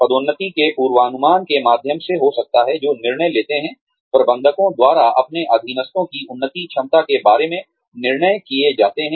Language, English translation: Hindi, Could be through promotability forecasts, which are decisions, made by managers, regarding the advancement potential of their subordinates